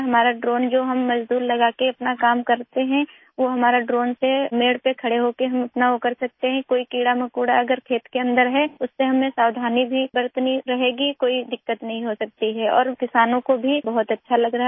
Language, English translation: Hindi, We can do the work done by labourers using our drone, we can do our work by standing on the farm boundary, we will have to be careful if there are any insects inside the field, there won't be any problem and the farmers are also feeling very good